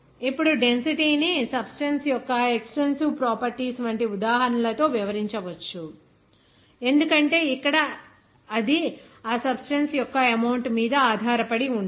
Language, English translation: Telugu, Now, this can be, explained with examples like density is an extensive property of a substance because here it does not depend on the amount of that substance